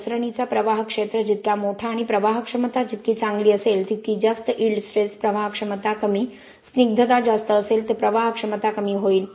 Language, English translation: Marathi, The more the slump flow area the larger and the better the flowability, the higher the yield stress the lower the flowability, the higher the viscosity lower the flowability